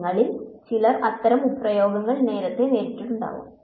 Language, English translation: Malayalam, Some of you may have encountered such expressions earlier